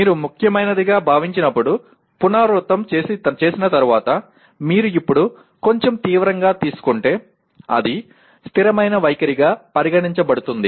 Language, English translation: Telugu, Then after repetition when you consider important; that is you now take it a little more seriously it is considered consistent attitude